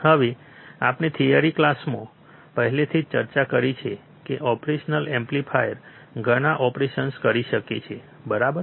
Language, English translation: Gujarati, Now we have already discussed in the theory class that operational amplifiers can do several operations, right